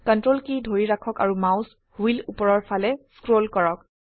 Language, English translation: Assamese, Hold Ctrl and scroll the mouse wheel upwards